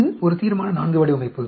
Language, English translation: Tamil, This is a Resolution IV design